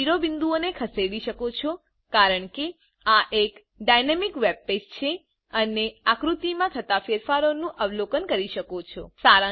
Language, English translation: Gujarati, You can move the vertices as this is a dynamic web page and observe the changes to the figure